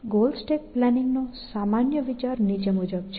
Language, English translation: Gujarati, The general idea of goal stack planning is the following